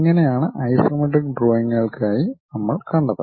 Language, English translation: Malayalam, This is the way we have seen for isometric drawings this one